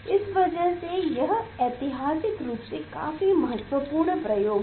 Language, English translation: Hindi, that is why it is the historically very important experiment